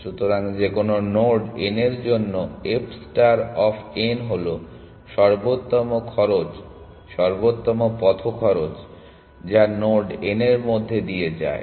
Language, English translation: Bengali, So, for any node n, f star of n is optimal cost optimal path cost which passes through the node n essentially